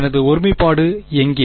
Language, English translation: Tamil, Where is my singularity